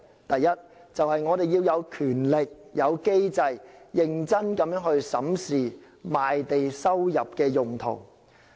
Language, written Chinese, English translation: Cantonese, 第一，就是我們要有權力、有機制，認真去審視賣地收入的用途。, First we must have the power and mechanism to seriously consider the use of revenues from land sales